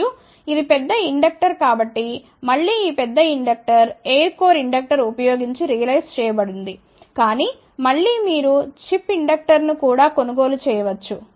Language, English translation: Telugu, And, since it is a large inductor, again this large inductor has been realized using a air core inductor , but again you can buy a chip inductor also